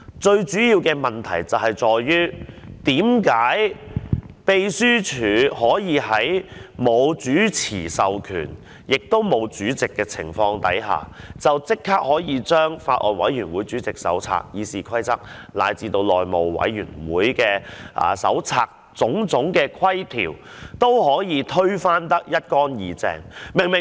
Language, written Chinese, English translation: Cantonese, 最主要的問題在於，為甚麼秘書處可以在沒有主持的議員授權，亦在沒有選出主席的情況下，可以立即將《法案委員會主席手冊》、《議事規則》，乃至內務委員會《內務守則》下的種種規條，都推得一乾二淨。, The major problem is why the Legislative Council Secretariat could without the authorization of the presiding Member of the relevant committee coupled with the fact that the Chairman of the Bills Committee had not been elected disregard all the rules prescribed by the Handbook for Chairmen of Bills Committees the Rules of Procedure and the House Rules of the House Committee